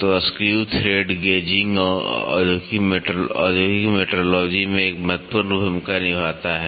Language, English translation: Hindi, So, screw thread gauging plays a vital role in the industrial metrology